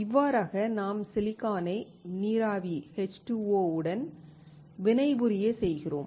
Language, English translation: Tamil, In that case, I have silicon reacting with water vapor